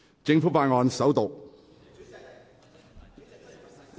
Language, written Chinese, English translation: Cantonese, 政府法案：首讀。, Government Bill First Reading